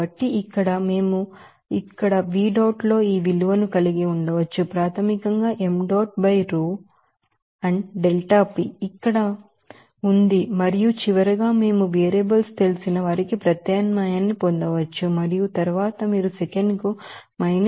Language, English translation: Telugu, So, it will be basically that delta H minus deltaPV dot so after substitution of that, here, we can have this value up here in V dot basically m dot by row and delta P is here and then finally, we can get a substitution of those you know variables and then you can get to minus 80